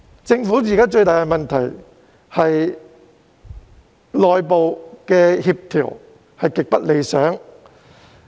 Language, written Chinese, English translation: Cantonese, 政府現時最大的問題，是內部協調極不理想。, At present the biggest problem with the Government is the extremely unsatisfactory internal coordination